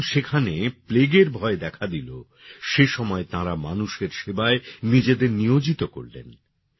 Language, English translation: Bengali, When the dreadful plague had spread there, she threw herself into the service of the people